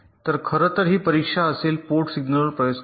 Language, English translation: Marathi, so actually these will be the test access port signals